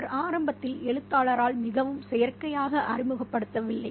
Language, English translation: Tamil, He is not introduced right at the beginning quite artificially by the writer